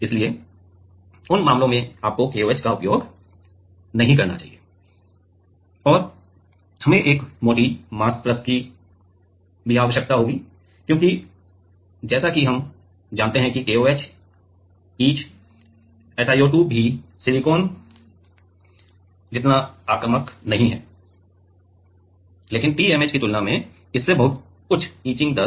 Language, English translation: Hindi, So, in those cases you should not use KOH and we need a thicker mask layer because as we were saying that KOH etch is SiO2 also very not as aggressive as silicon, but compare to TMAH it has much higher etching rate